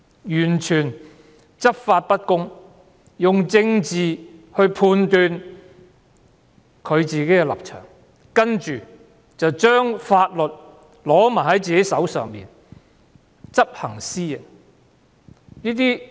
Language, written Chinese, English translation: Cantonese, 警隊執法不公，用政治來判斷自己的立場，然後手執法律，執行私刑。, The Police do not enforce the law justly . They determine their stance from a political perspective and take laws into their hands to impose extrajudicial punishment on the people